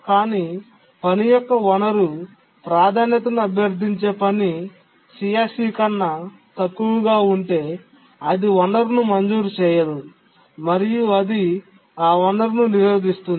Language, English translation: Telugu, But if the task requesting the resource priority of the task is less than CSEC, it is not granted the resource and it blocks